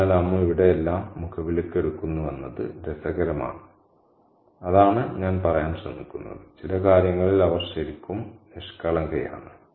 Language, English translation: Malayalam, So it's interesting to see that Amu takes everything at face value here and that's the point that I'm trying to make that she is really innocent in certain areas